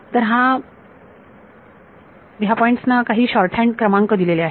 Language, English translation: Marathi, So, these points are given some shorthand numbers